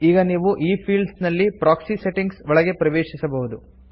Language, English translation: Kannada, You can now enter the the proxy settings in these fields